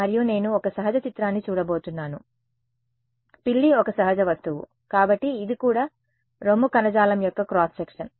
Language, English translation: Telugu, And I am going to look at a natural image right cat is a natural object, so it is also a cross section of breast tissue